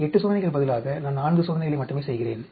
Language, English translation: Tamil, Instead of 8 experiments, I am doing only 4 experiment